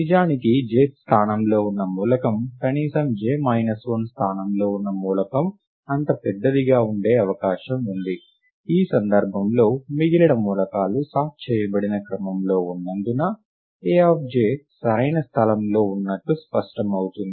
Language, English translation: Telugu, Indeed it is also possible that the element at the jth location is at least as large as the element at the j minus one th location in which case, it is clear that a of j is at the correct place, given that the rest of the elements are in sorted order right